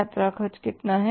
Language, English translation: Hindi, Sales are how much